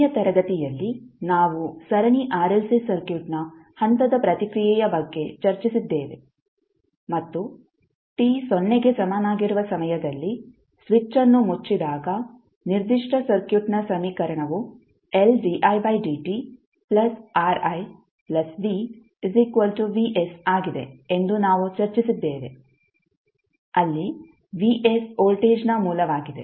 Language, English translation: Kannada, In the last class we discussed about the step response of a Series RLC Circuit and we discussed that at time t is equal to 0 when the switch is closed, the equation for the particular circuit is , where the Vs is the voltage source